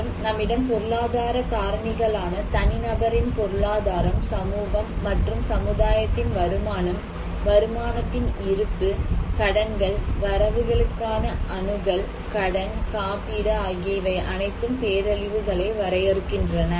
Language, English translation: Tamil, Also, we have economic factors like economic status of individual, community, and society and income, income reserves, debts, access to credits, loan, insurance they all define the disasters